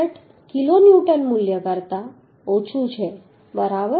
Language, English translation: Gujarati, 66 kilonewton if we divide by 1